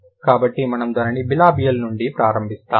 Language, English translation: Telugu, So, we'll start it from the bilibial